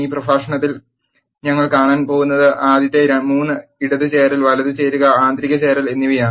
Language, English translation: Malayalam, In this lecture, what we have going to see are the first 3 left join, right join and inner join